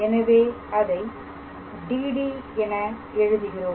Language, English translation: Tamil, So, I write it as DD